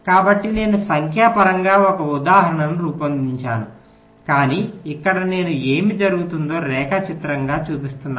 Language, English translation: Telugu, let us see with the help of an example so i have worked out an example numerically, but here i am showing it diagrammatically what happens